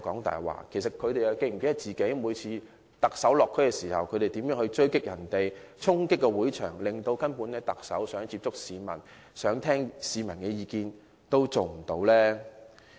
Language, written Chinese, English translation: Cantonese, 他們又是否記得，他們每次在特首落區時是如何追擊他和衝擊會場，令他根本無法接觸市民或聆聽市民的意見？, They call him a liar . But do they recall how they attacked the Chief Executive every time he visited a district and how they stormed the venue rendering him unable to reach out to the public or listen to peoples views?